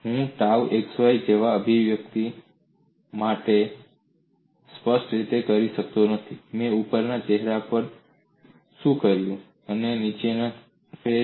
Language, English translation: Gujarati, I would not be able to specify individual magnitudes of tau xy like, what I had done on the top phase, and the bottom phase